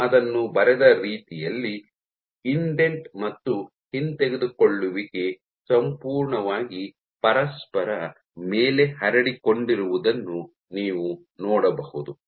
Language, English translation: Kannada, So, the way I have drawn it, you can see that the indent and retract are completely overlaying on each other